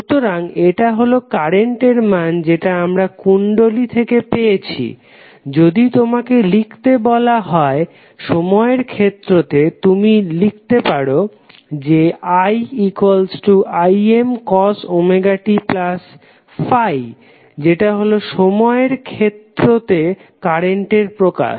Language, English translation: Bengali, So, that would be the current value which we get from the inductor and if you are asked to write in the time domain, you can simply write as since we know that I is equal to Im cos Omega t plus Phi is the time domain representation of the current